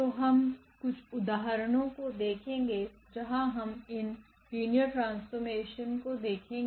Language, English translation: Hindi, So, we go through some of the examples where we do see this linear maps